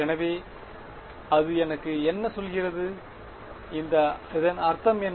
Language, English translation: Tamil, So, what does that tell me, how what does it mean